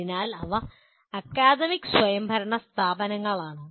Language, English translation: Malayalam, But they are academically autonomous institutions